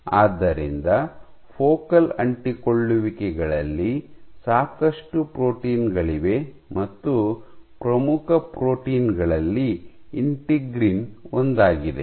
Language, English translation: Kannada, So, there are lots of proteins which are present in focal adhesions and so one of the most important proteins is integrin